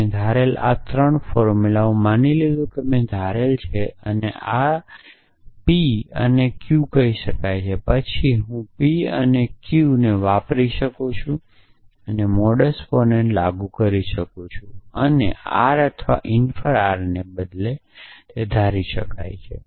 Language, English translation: Gujarati, So, I have assume this three formulas I have assume this I have assume this I have assume this, now I can say p and q then I can use p and q and this and apply modus ponens and assume r or infer r rather